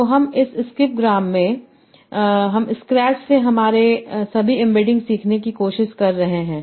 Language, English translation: Hindi, So in skip gram, so I am trying to learn all my amadings from scratch